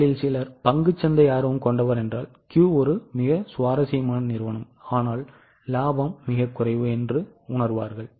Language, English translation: Tamil, Some of you if you are interested in stock market you will realize that Q is a very interesting company